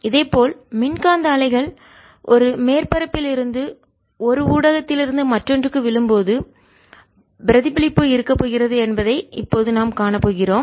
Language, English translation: Tamil, in a similar manner we are now going to see that when electromagnetic waves fall from on a surface, from one medium to the other, there is going to be reflection